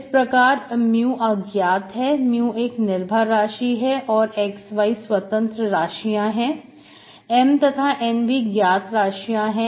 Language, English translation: Hindi, So mu is unknown, mu is the dependent variable which is and xy are independent variable, capital M and capital N are known